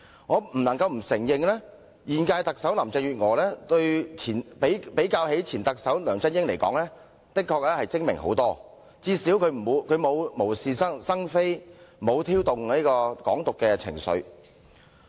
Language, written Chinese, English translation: Cantonese, 我不得不承認現屆特首林鄭月娥的確遠較前任特首梁振英精明，至少她不會無是生非，也沒有挑動"港獨"情緒。, I must admit that Chief Executive Carrie LAM of the current - term Government is much smarter than her predecessor former Chief Executive LEUNG Chun - ying as she will at least avoid making trouble out of nothing or stirring up pro - independence sentiment